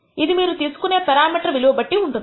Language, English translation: Telugu, Of course, this depends on what value the parameter is going to take